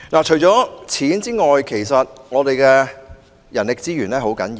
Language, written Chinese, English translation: Cantonese, 除了經費之外，其實人力資源也很重要。, Apart from funding human resources are actually very important too